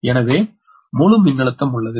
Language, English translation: Tamil, voltage is also balanced